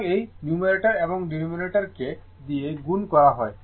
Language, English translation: Bengali, So, this was your multiplying numerator and denominator by 2